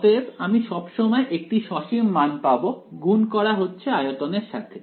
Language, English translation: Bengali, So, I am going to get some finite quantity multiplied by the volume at best right